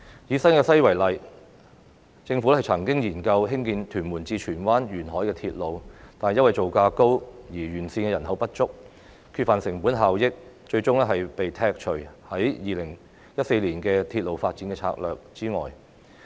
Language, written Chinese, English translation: Cantonese, 以新界西為例，政府曾經研究興建屯門至荃灣沿海鐵路，但因為造價高及沿線人口不足，缺乏成本效益，最終被剔除於《鐵路發展策略2014》外。, For example in New Territories West the Government had looked into the construction of a coastal railway between Tuen Mun and Tsuen Wan but it was eventually excluded from the Railway Development Strategy 2014 due to high construction costs insufficient population in the catchment areas and the lack of cost - effectiveness